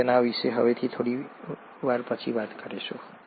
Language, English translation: Gujarati, We’ll talk about that a little later from now